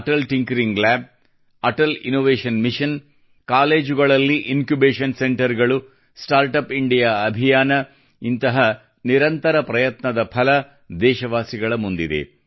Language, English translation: Kannada, Atal Tinkering Lab, Atal Innovation Mission, Incubation Centres in colleges, StartUp India campaign… the results of such relentless efforts are in front of the countrymen